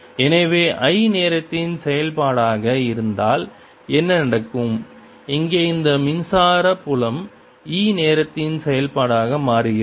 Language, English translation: Tamil, if this i is a function of time, then this electric field here, e, becomes a function of time, right